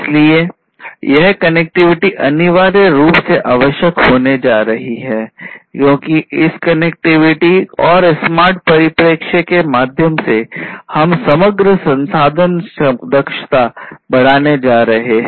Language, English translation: Hindi, So, this connectivity is essentially going to be required because through this connectivity and smart perspective; we are going to increase the overall resource efficiency